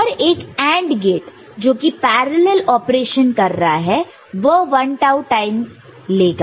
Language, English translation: Hindi, Each of these AND gates which is doing a parallel operation will take 1 tau, ok